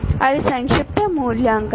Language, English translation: Telugu, That is summative valuation